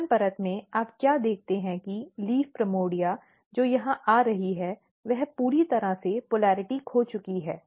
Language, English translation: Hindi, Here in L1 layer, what you see that the primordia; the leaf primordia which is coming here it has totally lost the polarity